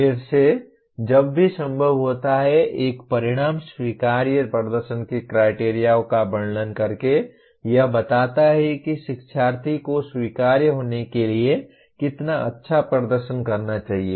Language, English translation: Hindi, Again, whenever possible an outcome describes the criterion of acceptable performance by describing how well the learner must perform in order to be considered acceptable